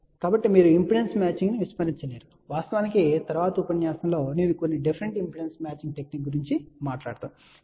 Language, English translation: Telugu, So, you cannot ignore impedance matching and in fact, in the next lecture, I will talk about some different impedance matching technique